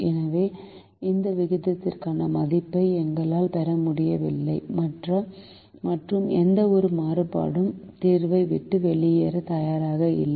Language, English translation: Tamil, therefore, we are not able to get a value for this ratio and no variable is willing to leave the solution